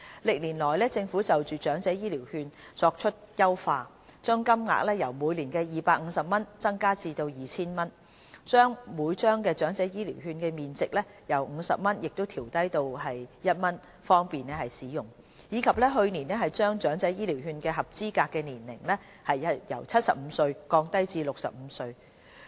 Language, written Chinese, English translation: Cantonese, 歷年來，政府就長者醫療券作出優化：將金額由每年250元增加至 2,000 元；將每張醫療券的面值由50元調低至1元，方便使用；並在去年將長者醫療券計劃的合資格年齡由70歲降低至65歲。, Numerous enhancement measures have been introduced to the EHV Scheme over years which include increasing the annual voucher amount from the initial sum of 250 to 2,000 adjusting downward the face value of each voucher from 50 to 1 to make it more convenient for the elders to use the vouchers and lowering the eligibility age for the EHV Scheme from 70 to 65